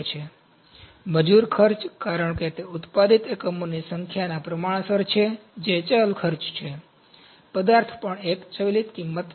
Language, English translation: Gujarati, So, labour cost because that is proportional to the number of units produced that is a variable cost, material is also a variable cost